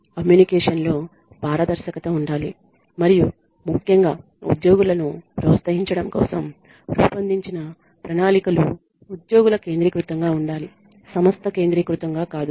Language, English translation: Telugu, There needs to be a transparency in communication and the plans that are made for especially for incentivizing employees need to be employee centric not organization centric